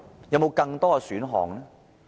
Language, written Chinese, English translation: Cantonese, 有沒有更多選項？, Are there any more options?